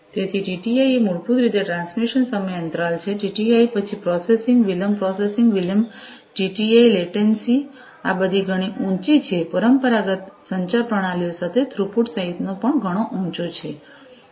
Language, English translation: Gujarati, So, TTI is basically transmission time interval, TTI then the processing delay processing delay TTI latency these are all quite high, the including the throughput is also quite high, with the traditional communication systems